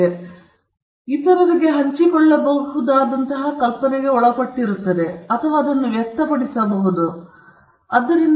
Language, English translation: Kannada, And intellectual property right is tied to an idea which can be shared to others or which can be expressed or which can or you can have an application out of it